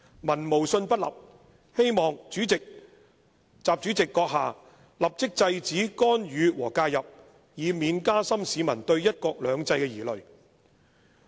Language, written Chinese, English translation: Cantonese, 民無信不立，希望閣下立即制止干預和介入，以免加深市民對'一國兩制'的疑慮。, We hope that you will immediately stop the interference and meddling lest the people will have further misgivings about the implementation of one country two systems